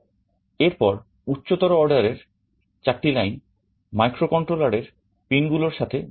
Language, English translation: Bengali, Then the high order 4 lines are connected to some microcontroller pins